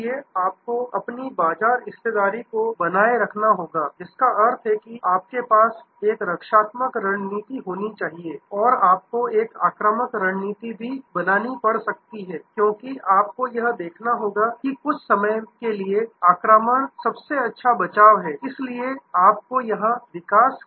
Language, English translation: Hindi, So, you have to retain your market share, which means that there you have to have a defensive strategy and you may have to also create an offensive strategy, because you have to see some time offense is the best defense, so you have to be in a mode of growth here